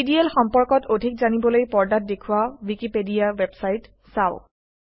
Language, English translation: Assamese, To know more about DDL visit the Wikipedia website shown on the screen